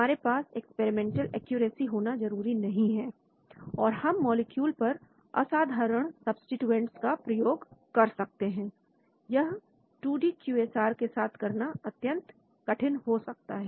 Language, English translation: Hindi, We do not need much of experimental accuracies and we apply to molecules with unusual substituents , it may be very difficult to do with 2D QSAR